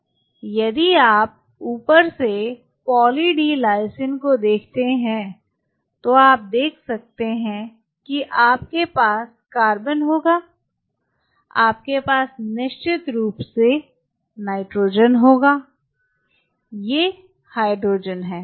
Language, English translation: Hindi, If you look at Poly D Lysine from top you can see you will have carbon you will have nitrogen of course, you have hydrogen these are mostly what will be and of course, you will have oxygen right